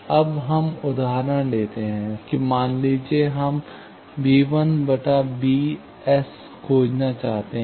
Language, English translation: Hindi, Now, let us take this example that, suppose, we want to find b 1 by b s